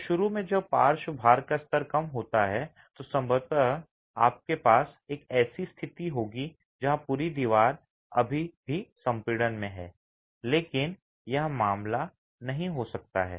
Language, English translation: Hindi, So, initially when the level of lateral loads are low, you will probably have a situation where the entire wall is still in compression